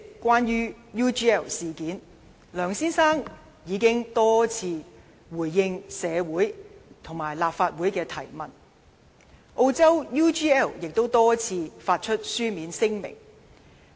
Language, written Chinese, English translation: Cantonese, 關於 UGL 事件，梁先生已經多次回應社會及立法會的提問，而澳洲的 UGL 亦曾多次發出書面聲明。, As far as the UGL incident is concerned Mr LEUNG had already answered the questions raised in society and by the Legislative Council on numerous occasions